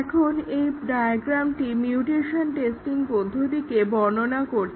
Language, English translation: Bengali, Now, this diagram shows the mutation testing process